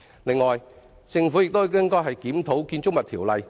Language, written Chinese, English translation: Cantonese, 此外，政府應檢討《建築物條例》。, Furthermore the Government should review the Buildings Ordinance